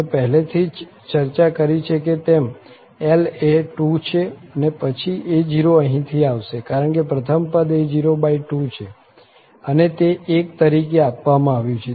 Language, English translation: Gujarati, So, as I discussed already L is 2 then a naught, that will be coming from here because the first term is a naught by 2 and that is given as 1